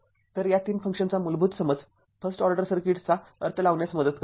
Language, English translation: Marathi, So, basic understanding of these 3 functions helps to make sense of the first order circuit right